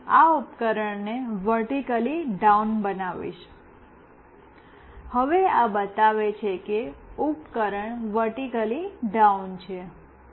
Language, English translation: Gujarati, Now, I will make this device vertically down, now this is showing that the devices vertically down